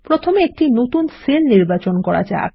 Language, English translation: Bengali, First let us select a new cell